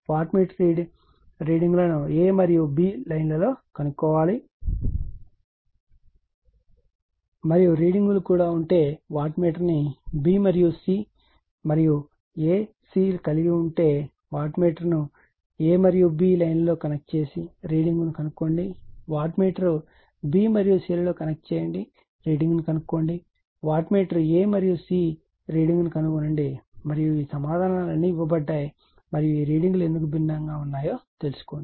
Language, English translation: Telugu, Find the readings of wattmeter in lines 1 a and b and the readings also , if, you put wattmeter in b and c and a c having , you connect the wattmeter in line a and b and find out the reading; you connect the wattmeter b and c , find out the reading you connect the wattmeter a and c find out the reading and all these answers are given all the and and you you are what you call and you find out why this readings are different right